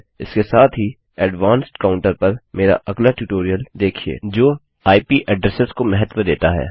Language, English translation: Hindi, Also watch my other tutorial on the more advanced counter that takes IP addresses into account